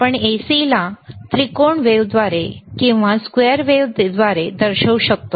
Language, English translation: Marathi, We can also indicate AC by a triangle or by square wave